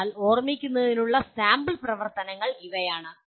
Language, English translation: Malayalam, So these are the sample activities for remember